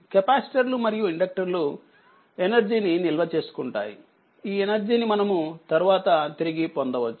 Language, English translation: Telugu, So, capacitors and inductors store energy which can be retrieved at a later time